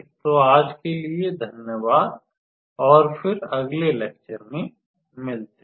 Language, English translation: Hindi, So, thank you for attention today and I will see you in the next class